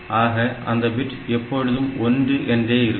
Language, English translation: Tamil, So, that bit is always 1